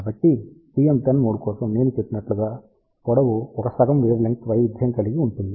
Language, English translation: Telugu, So, for TM 1 0 mode as I mentioned there is a 1 half wavelength variation along the length